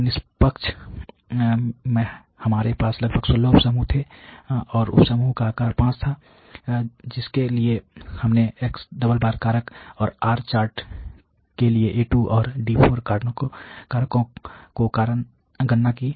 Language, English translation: Hindi, So, in a neutral we had about 16 sub groups, and the sub group size was determined is 5 for which we calculated A2 and D4 factors for the , and the R charts